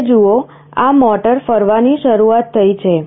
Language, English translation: Gujarati, Now see, this motor starts rotating